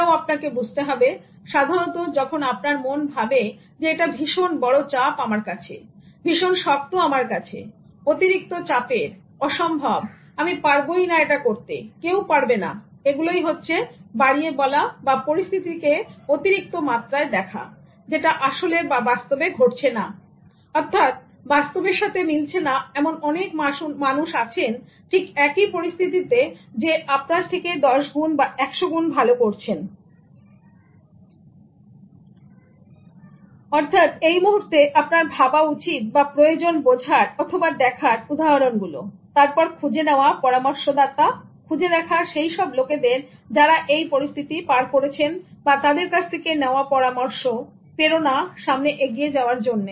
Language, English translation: Bengali, And similarly, exaggeration of a situation emanates from a fixed mindset this you should understand normally when the mind thinks that oh this is too big for me this is too difficult for me this is too tough impossible I can't do this at all nobody can do this now this is an exaggerated way of looking at things which is not actually happening in reality there are people who have done it ten times hundred times better than you at that moment of your thinking you only need to realize or see the examples, identify mentors, identify people who have crossed that situation and then take that as a kind of inspiration to move ahead